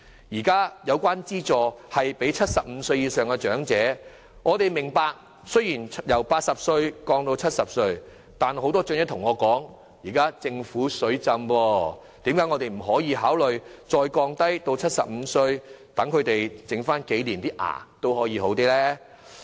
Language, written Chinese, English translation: Cantonese, 現時有關資助是提供予75歲以上的長者，但很多長者告訴我，既然庫房現時"水浸"，為何不能考慮將資助年齡進一步降低，讓他們在剩餘的年月有一副好一點的牙齒呢？, The assistance is now provided to elderly persons aged over 75 but many elderly persons have indicated to me that since the Treasury is now flooded with money there is no reason why consideration could not be given to lowering further the eligibility age for the assistance so that they could be blessed with healthier teeth in the remaining years of their life